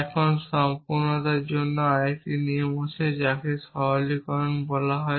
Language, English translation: Bengali, Now, for a sake of completeness there another rule which is called generalization